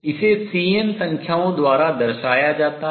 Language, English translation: Hindi, What is x this is represented by the C n numbers